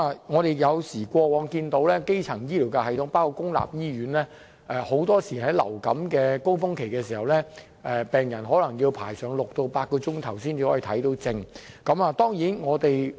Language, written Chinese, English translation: Cantonese, 我們看到過往的基層醫療系統，包括公立醫院，很多時在流感高峰期的時候，病人要等候6小時至8小時才可以看病。, As we observe during the influenza surges patients usually need to wait for six to eight hours before they can consult a doctor under the primary health care system including public hospitals